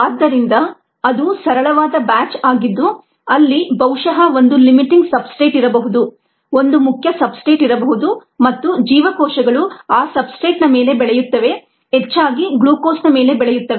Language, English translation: Kannada, so that is a simple batch where probably there was one ah limiting substrate, one main substrate, and the cells grow on that substrate, most likely growths